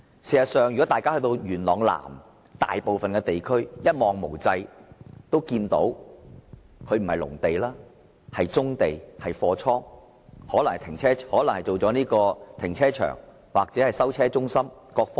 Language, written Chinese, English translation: Cantonese, 事實上，如果大家到元朗南便會看到，大部分地區一望無際，看到的都不是農地，而是棕地、貨倉，甚至是停車場或收車中心。, In fact if Members go to Yuen Long South they can see stretches of land not agricultural land but brownfield sites warehouses and even car parks or junkyard for abandoned vehicle